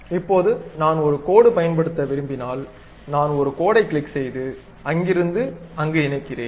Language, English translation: Tamil, Now, if I would like to use a line, I just click a line, connect from there to there